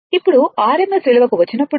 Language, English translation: Telugu, Now, when you come to your rms value